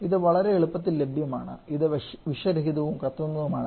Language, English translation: Malayalam, Again it is very easily available It is non toxic non flammable